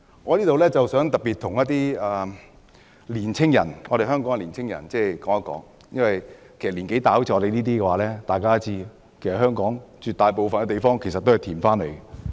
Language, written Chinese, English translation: Cantonese, 我想在此特別告訴香港的年輕人，而與我年紀相若的人都會知道，香港絕大部分土地都是填海而來的。, Let me tell young people of Hong Kong―as people of my age know about this already―most of the land in Hong Kong was reclaimed from the sea